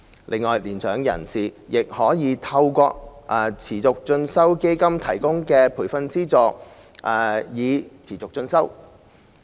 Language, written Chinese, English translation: Cantonese, 此外，年長人士亦可利用持續進修基金提供的培訓資助持續進修。, Besides mature persons can also pursue continuing education with the training subsidies provided by the Continuing Education Fund